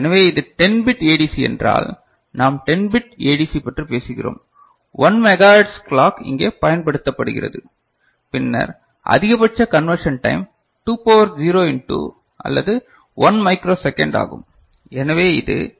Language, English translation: Tamil, So, if it is a 10 bit ADC, we are talking about 10 bit ADC and 1 megahertz clock is used here right, then maximum conversion time is 2 to the power 10 into or 1 micro second, so, it is 1